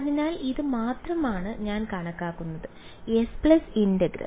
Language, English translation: Malayalam, So, this is the only the s plus integral is what I am calculating